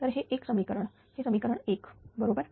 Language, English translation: Marathi, So, this is equation 1, right